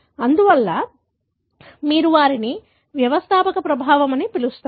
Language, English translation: Telugu, Therefore, you call them as founder effect